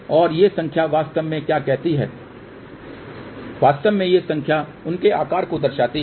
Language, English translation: Hindi, And what these numbers really say actually speaking these numbers signify their size